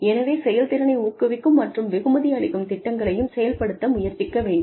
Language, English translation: Tamil, So, they are also trying to implement programs, that encourage and reward performance